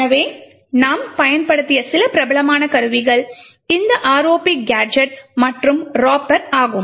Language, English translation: Tamil, So, some quite famous tools which we have used is this ROP gadget and Ropper